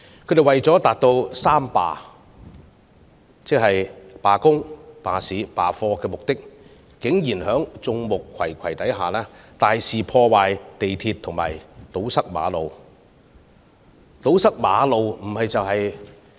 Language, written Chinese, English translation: Cantonese, 他們為了達到"三罷"——罷工、罷市、罷課——的目的，竟然在眾目睽睽之下，大肆破壞鐵路和堵塞馬路。, In order to materialize a general strike on three fronts by the labour education and business sectors they resorted to the massive damage of railway tracks and road blockade in broad daylight